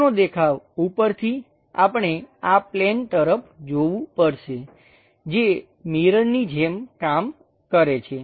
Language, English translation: Gujarati, Top view, from top, we have to look on to a plane which acts like mirror